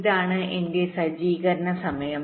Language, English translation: Malayalam, ok, this is the setup time